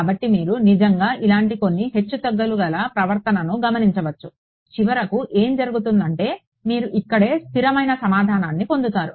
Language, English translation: Telugu, So, you might actually observe some fluctuating behavior like this eventually what will happen is that, you get a stable answer over here right